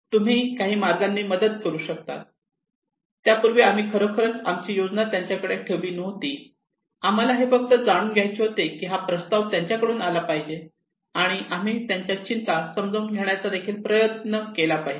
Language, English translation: Marathi, can you help you some manner, before that we did not really put our plan to them we just wanted to know that this proposal should come from them and we should also try to understand them their concerns